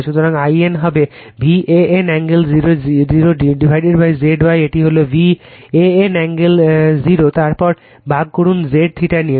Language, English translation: Bengali, So, I n will be V a n angle 0 by Z Y this is your, V a n angle 0 then divided by say z theta